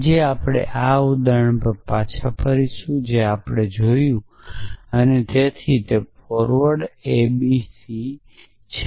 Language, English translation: Gujarati, So, today, we will we will go back to this example that we saw and so on a b on b c